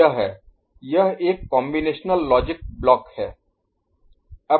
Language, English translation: Hindi, This is, this is a combinatorial logic block is not it